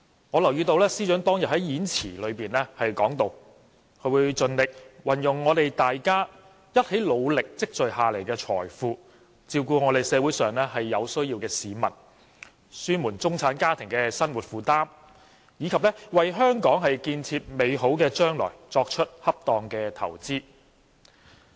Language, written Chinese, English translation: Cantonese, 我留意到司長當天的演辭提到，會盡力"運用我們大家一起努力積累下來的財富，照顧社會上有需要的市民，紓緩中產家庭的生活重擔，以及為香港建設美好的將來作出恰當的投資"。, I notice that the Financial Secretary said in his speech on that day that my endeavour is to make use of the wealth we have accumulated together through hard work to take care of the needy in the society ease the heavy burden of middle - class families and make appropriate investments essential for building a better Hong Kong